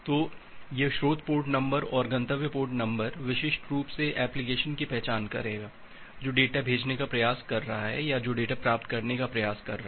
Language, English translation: Hindi, So, this source port number and a destination port number will uniquely identify the application, which is trying to send the data or which is trying to receive the data